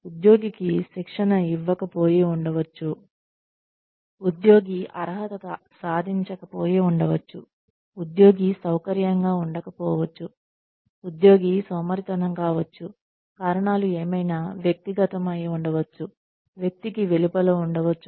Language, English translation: Telugu, There could be, the employee may not be trained, the employee may not be qualified, the employee may not be feeling comfortable, the employee may be just plain lazy, reasons could be inside the person, could be outside the person